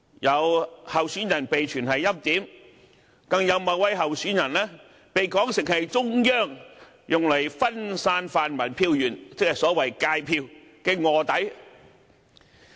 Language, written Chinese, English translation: Cantonese, 有候選人被傳是"欽點"，更有某位候選人被說成是中央用來分散泛民票源的臥底。, A candidate is being rumoured as the preordained one; and another candidate is even being depicted as a stool pigeon sent by the Central Authorities for diluting the pan - democratic source of votes